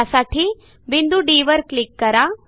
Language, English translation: Marathi, Click on the point E and then on point C